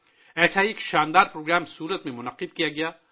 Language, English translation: Urdu, One such grand program was organized in Surat